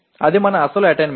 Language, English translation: Telugu, That is our actual attainment